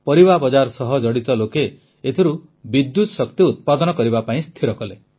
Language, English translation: Odia, People associated with the vegetable market decided that they will generate electricity from this